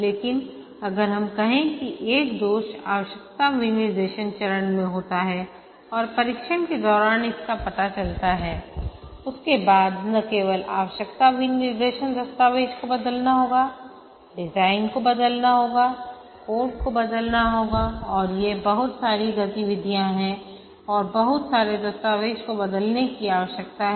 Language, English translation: Hindi, But if, let's say, a defect occurs in the requirement specification phase and it is discovered during testing, then not only the requirement specification document has to change, the design needs to be changed, the code needs to be changed and these are lot of activities and lot of documents need to change